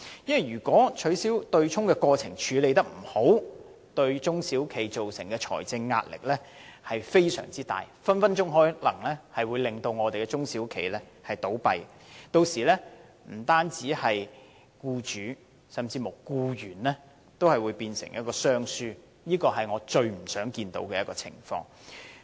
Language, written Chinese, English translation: Cantonese, 如果取消對沖機制的過程處理得不好，對中小企造成非常大的財政壓力，隨時可能令中小企倒閉，屆時不僅對僱主，甚至對僱員也會有影響，變成雙輸，這是我最不想看到的情況。, The process of abolishing the offsetting mechanism if not carefully handled will constitute enormous financial pressure on SMEs easily leading to business closures . It will then affect not only employers but also employees resulting in a lose - lose outcome the last thing I wish to see